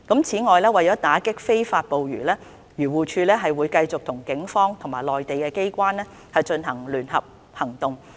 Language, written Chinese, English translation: Cantonese, 此外，為打擊非法捕魚，漁農自然護理署會繼續與警方及內地機關進行聯合行動。, Moreover for the combat of illegal fishing the Agriculture Fisheries and Conservation Department AFCD will continue to mount joint operations with the Police and Mainland authorities